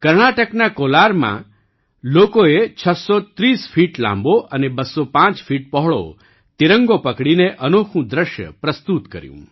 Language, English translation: Gujarati, In Kolar, Karnataka, people presented a unique sight by holding the tricolor that was 630 feet long and 205 feet wide